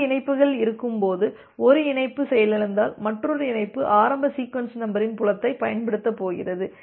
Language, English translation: Tamil, Whenever there are two connections like whenever one connection has crashed and another connection is going to going to use a initial sequence number field